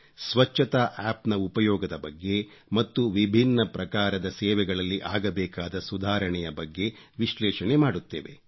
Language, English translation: Kannada, They will analyse the use of the Cleanliness App and also about bringing reforms and improvements in various kinds of service centres